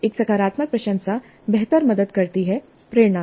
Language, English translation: Hindi, A positive appreciation does help better motivation